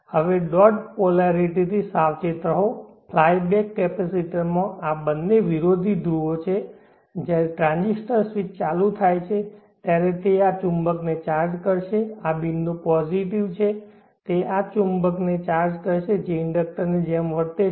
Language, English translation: Gujarati, Now be careful with the dot polarity in a fly back capacitor these two are opposite poles when the transistor switch is on, it will charge up this magnetic, this dot is positive, it will charge up this magnetic which is acting like an inductor